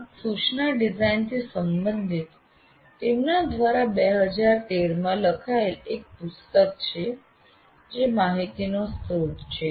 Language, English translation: Gujarati, And there is a 2013 book written by him related to this instruction design that is a good source of information